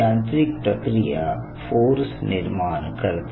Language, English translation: Marathi, some form of mechanical activity generates a force